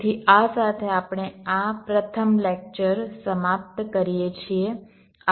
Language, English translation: Gujarati, so with this we come to the end of this first lecture